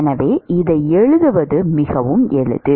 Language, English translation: Tamil, So, it is very easy to write this